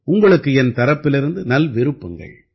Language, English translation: Tamil, This is my best wish for all of you